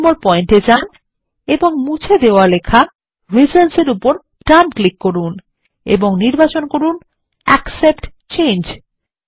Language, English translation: Bengali, Go to point 2 and right click on the deleted text reasons and say Accept Change